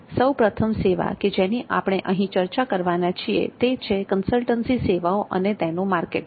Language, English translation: Gujarati, The first professional service that we are going to discuss is the consultancy services marketing